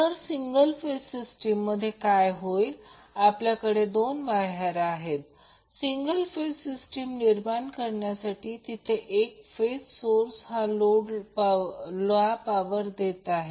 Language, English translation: Marathi, Now, in case of single phase system what will happen we will have two wires to create the single phase system where one single phase source will be supplying power to the load